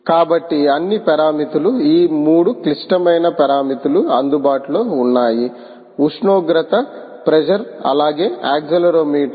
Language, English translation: Telugu, ok, so all the parameters are there, these three critical parameters which are available: temperature, pressure, as well as the ah accelerometer